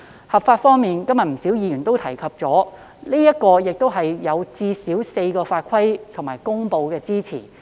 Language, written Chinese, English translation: Cantonese, 合法方面，正如今天不少議員提到，《條例草案》最少有4項法規和公布作為支持理據。, The Bill is lawful . As a number of Members have mentioned today the Bill is supported and justified by at least four pieces of laws and promulgations